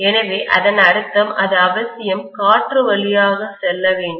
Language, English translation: Tamil, So that means it has to necessarily pass through air